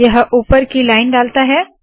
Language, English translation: Hindi, It puts a top line